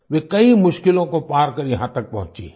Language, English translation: Hindi, She has crossed many difficulties and reached there